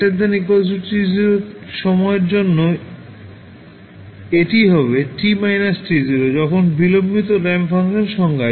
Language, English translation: Bengali, For time t greater than or equal to t naught it will be t minus t naught when the delayed ramp function is defined